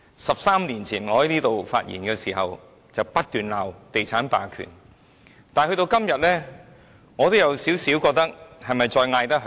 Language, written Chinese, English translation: Cantonese, 十三年前，我在本會發言時不斷罵地產霸權，但到了今天，我有點懷疑這是否還叫得響。, Thirteen years ago I kept denouncing real estate hegemony when I spoke in this Council but today I am a bit doubtful as to whether such denunciations are still valid